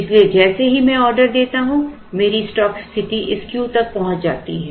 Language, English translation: Hindi, So, as soon as I place an order here my stock position goes up to this Q